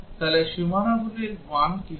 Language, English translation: Bengali, So, what will be the boundary values